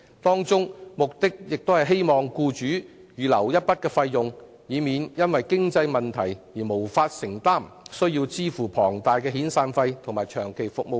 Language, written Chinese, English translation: Cantonese, 機制旨在為僱主預留一筆費用，以免日後因經營出現問題而無法向員工支付龐大遣散費或長期服務金。, The mechanism aims at reserving a sum of money for employers so that they will not be unable to make enormous severance or long service payments to their employees owing to any future business problems